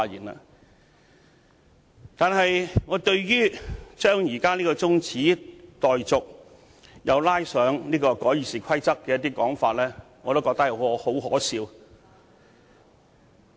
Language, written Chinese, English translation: Cantonese, 我覺得議員將這項中止待續議案與修訂《議事規則》扯在一起的說法很可笑。, I find it really ludicrous for Members to associate the adjournment motion with the amendments to the Rules of Procedure RoP